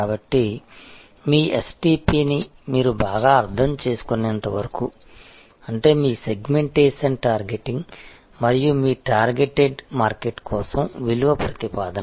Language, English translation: Telugu, So, until and unless you very well understand your STP; that means, your Segmentation Targeting and the value proposition for your targeted market